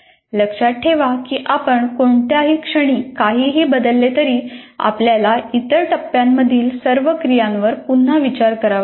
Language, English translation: Marathi, So remember that anything that you change at any point, you will have to take a re look at all the activities in other phases